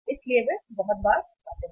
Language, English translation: Hindi, So they visit very frequently